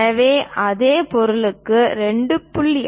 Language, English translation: Tamil, So, for the same object the 2